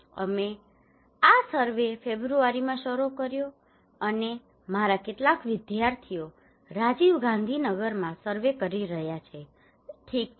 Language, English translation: Gujarati, And we started this survey in February and some of my students some of our students are conducting surveys in Rajiv Gandhi Nagar okay